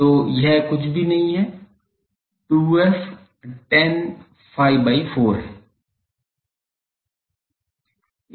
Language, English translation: Hindi, So, this is nothing, but 2 f tan phi by 4